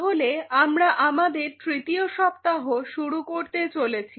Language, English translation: Bengali, So, this is our third week what we will be initiating